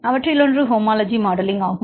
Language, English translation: Tamil, And the one of the major ones is the homology modelling